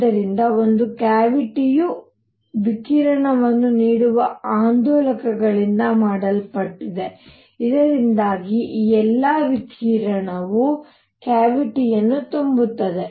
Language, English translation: Kannada, So, a cavity is made up of oscillators giving out radiation, so that all this radiation fills up the cavity